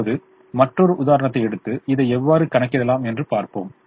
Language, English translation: Tamil, now let us take another example: in c, see how we can show this